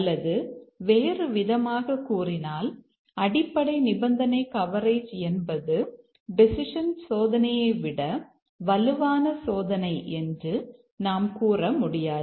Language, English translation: Tamil, Or in other words we cannot say that basic condition coverage is a stronger form of testing than decision testing